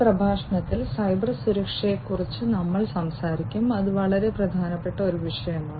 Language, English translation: Malayalam, In this lecture, we will talk about Cybersecurity, which is a very important topic